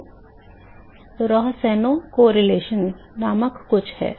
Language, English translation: Hindi, So, there is something called Rohsenow correlation